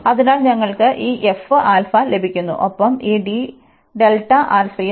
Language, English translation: Malayalam, So, we get this f alpha and this d delta alpha will be there